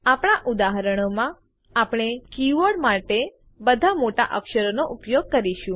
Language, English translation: Gujarati, In our examples, we will use all upper cases for keywords